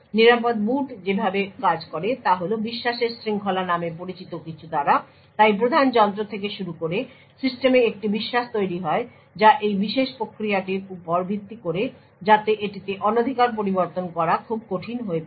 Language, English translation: Bengali, The way secure boot works is by something known as a chain of trust so starting from the root device there is a trust created in the system based on this particular mechanism it becomes very difficult to tamper with